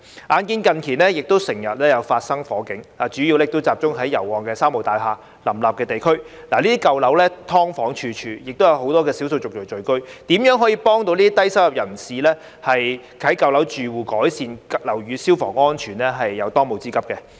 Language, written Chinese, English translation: Cantonese, 眼見近年經常發生火警，主要集中在油麻地及旺角"三無"大廈林立的地區，這些舊樓"劏房"處處，亦有很多少數族裔聚居，如何可以幫助這些低收入人士及舊樓住戶改善樓宇消防安全是當務之急。, I have noticed that fires frequently occurred in recent years mainly in districts such as Yau Ma Tei and Mong Kok where there are many three - nil buildings . These old buildings are densely packed with subdivided units where many ethnic minorities live . Helping these low - income people and residents of old buildings to improve the fire safety of their buildings should be accorded the top priority